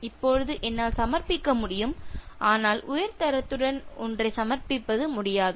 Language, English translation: Tamil, As such, I can submit but I will not be able to submit one with high quality